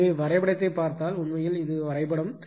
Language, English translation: Tamil, So, if you see the diagram actually this is the diagram